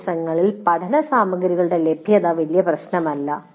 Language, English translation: Malayalam, Generally these days availability of learning material is not a big issue